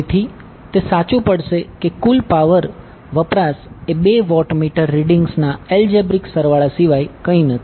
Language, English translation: Gujarati, So, will justify that the total power consumption is nothing but algebraic sum of two watt meter readings